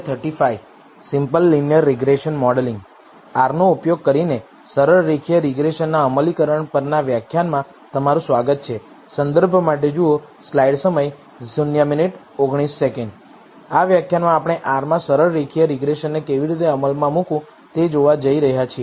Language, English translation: Gujarati, Welcome to the lecture on the implementation of simple linear regression using R In this lecture, we are going to see how to implement simple linear regression in R